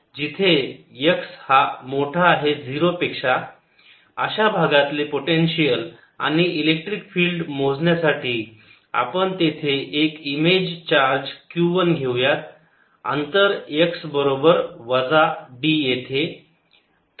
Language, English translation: Marathi, so if you want to calculate the potential and electric field in this region, we place an image charge q one at x equals minus d